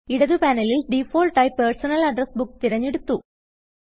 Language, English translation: Malayalam, By default the Personal Address Book is selected in the left panel